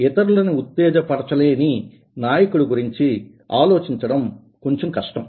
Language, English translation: Telugu, it is difficult to think of a leader who does not motivate others